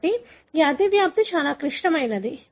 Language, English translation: Telugu, So, this overlap is very very critical